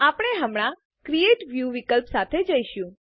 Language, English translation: Gujarati, We will go through the Create View option now